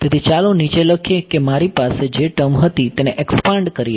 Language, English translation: Gujarati, So, let us write down let us expanded the D n term which I had